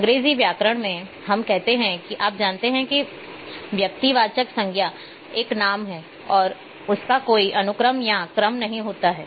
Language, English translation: Hindi, Nominal attribute like in English grammar, we say you know the proper noun is a name and there may not be any you know sequence or order